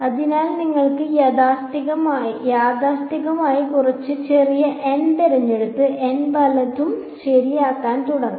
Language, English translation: Malayalam, So, you might start out conservatively choose some small n and then start making n larger and larger right